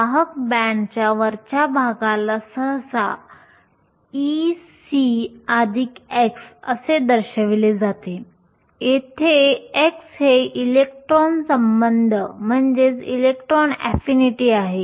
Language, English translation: Marathi, The top of the conduction band is usually denoted as E c plus chi, where chi is the electron affinity